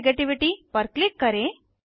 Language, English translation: Hindi, Click on Electro negativity